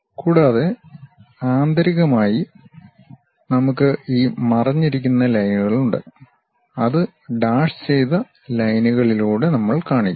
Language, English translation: Malayalam, And, internally we have these hidden lines which are these lines, that we will show it by dashed lines